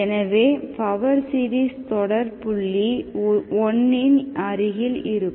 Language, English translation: Tamil, This is the power series around the point 1